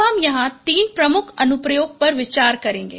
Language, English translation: Hindi, I will consider three major applications here